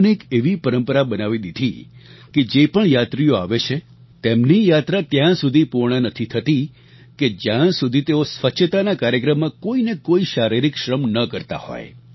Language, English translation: Gujarati, And, he began a tradition that the yatra of devotees will remain incomplete if they do not contribute by performing some physical labour or the other in the cleanliness programme